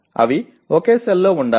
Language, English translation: Telugu, They should be located in the same cell